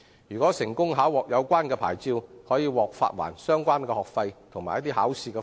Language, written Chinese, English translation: Cantonese, 如成功考獲有關牌照，可獲發還相關學費及考試費用。, Successful applicants of the licence will be reimbursed the fees for lessons and driving tests